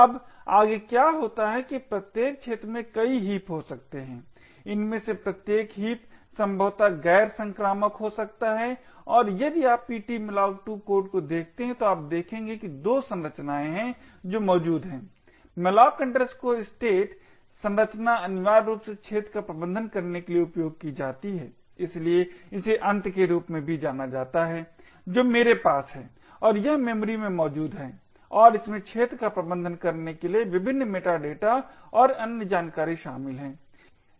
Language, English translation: Hindi, Now further what happens is that each arena can have multiple heaps, each of these heaps could be possibly non contiguous and if you look at ptmalloc2 code you would see that there are 2 structures that are present the malloc state structure is essentially used to manage arena, so this is also known as the end I had and it is present in memory and contains various meta data and other information to manage the arena